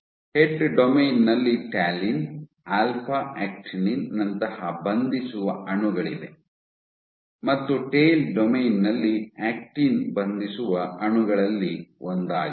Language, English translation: Kannada, In the head domain you have binding partners like talin, alpha actinin and in the tail domain you have actin as one of the binding partners